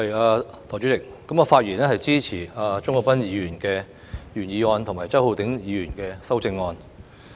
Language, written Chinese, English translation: Cantonese, 代理主席，我發言支持鍾國斌議員的原議案及周浩鼎議員的修正案。, Deputy President I speak in support of Mr CHUNG Kwok - pans original motion and Mr Holden CHOWs amendment